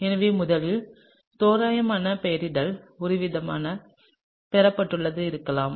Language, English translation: Tamil, So, some sort of rough nomenclature can be sort of derived